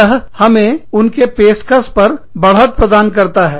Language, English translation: Hindi, That, gives us an edge over, what they provide